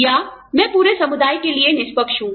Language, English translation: Hindi, Or, am i being fair, to the community, as a whole